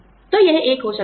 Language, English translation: Hindi, So, that could be one